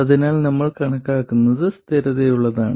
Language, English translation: Malayalam, So, what we calculate is consistent with that